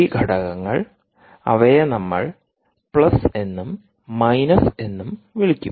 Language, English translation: Malayalam, when both the elements, we will call them plus and minus